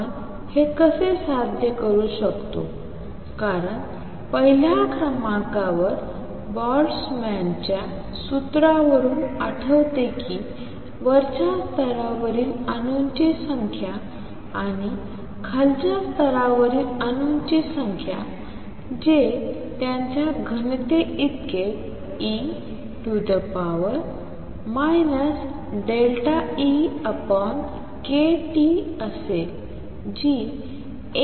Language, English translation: Marathi, How do we achieve this, because number one remember recall from Boltzmann’s formula that the number of atoms in the upper level and number of atoms in the lower level which will be same as their density also is e raise to minus delta E over k T which is also less than 1